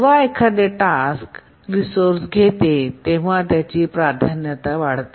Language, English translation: Marathi, When a task is granted a resource, its priority actually does not change